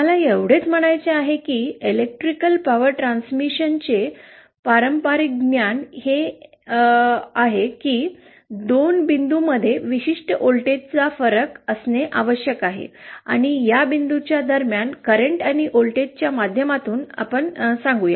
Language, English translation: Marathi, What I mean is, we know the traditional knowledge of Electrical Power transmission is that there has to be a certain voltage difference between 2 points and power is transmitted let is say between this point and this point by means of current and voltage